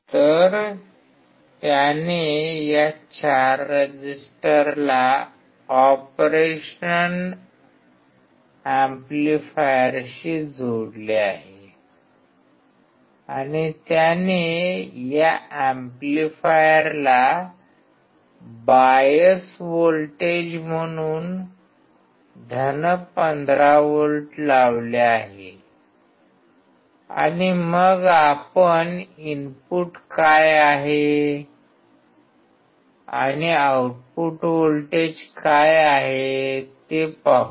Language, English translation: Marathi, So, he has connected this four resistor with this operation amplifier and he has applied + 15V as a bias voltage to this amplifier and then we will see what is the input and what is the output voltage correspondingly